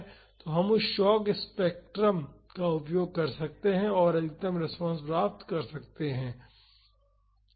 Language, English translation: Hindi, So, we can use that shock spectrum and find the maximum response